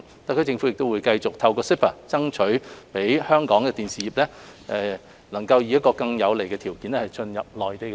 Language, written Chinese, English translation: Cantonese, 特區政府會繼續透過 CEPA， 爭取讓香港的電視業能以更有利的條件進入內地市場。, The HKSAR Government will continue its efforts to enable the Hong Kong broadcasting sector to gain access to the Mainland market under more favourable conditions through CEPA